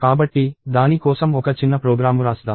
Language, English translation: Telugu, So, let us write a small program for that